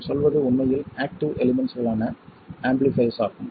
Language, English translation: Tamil, What we mean are really amplifiers, that is active elements